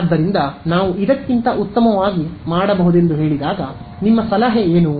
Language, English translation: Kannada, So, when I say can we do better, what would be your suggestion